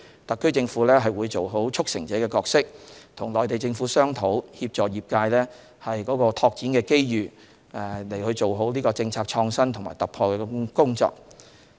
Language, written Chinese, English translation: Cantonese, 特區政府會做好"促成者"的角色，與內地政府商討，協助業界爭取在拓展機遇過程中做好政策創新和突破的工作。, The SAR Government will endeavour to play the role of facilitator and discuss with the Mainland Government with a view to assisting the industries in striving for development opportunities and in the process seeking policy innovation and breakthrough